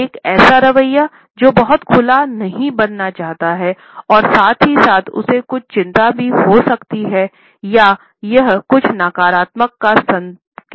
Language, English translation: Hindi, An attitude which does not want to become very open and at the same time it may also have certain anxiety or it may also indicate certain negativity